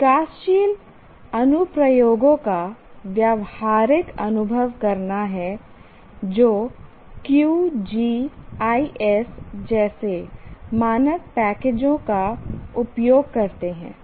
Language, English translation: Hindi, Have practical experience of developing applications that utilize standard packages like QGIS